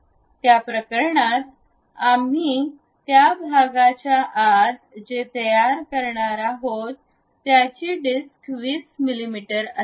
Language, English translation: Marathi, In that case our disc what we are going to construct inside of that portion supposed to be 20 mm